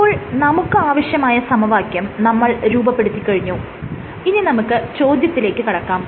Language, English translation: Malayalam, So, we have gone through the equation now this brings us to the question